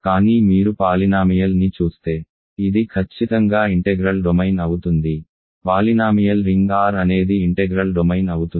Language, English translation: Telugu, But if you look at the polynomial this is certainly a integral domain, polynomial ring R is an integral domain